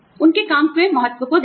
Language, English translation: Hindi, See the importance of their work